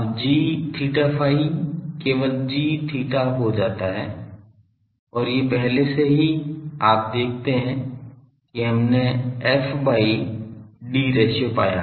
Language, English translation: Hindi, Now, g theta phi becomes g theta only and these already if you see when we found the f by d ratio